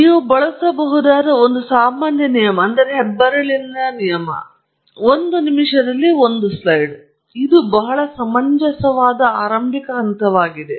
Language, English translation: Kannada, So, one general rule you can use rule of thumb is a slide a minute; that’s a very reasonable starting point